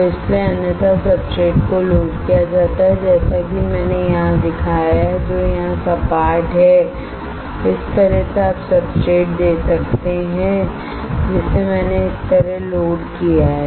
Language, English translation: Hindi, So, that is why otherwise substrates are loaded as I have shown here which is flat here like this alright you can see substrate which I have loaded like this